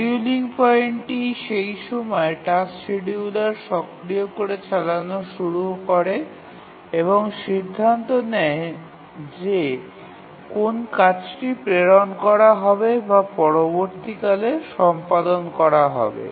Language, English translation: Bengali, The scheduling point are the times at which the task scheduler becomes active, starts running and decides which tasks to dispatch or start execution next